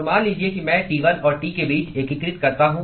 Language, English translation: Hindi, So, supposing I integrate between T1 and T